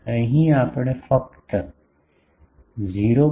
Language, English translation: Gujarati, Here we can go only up to 0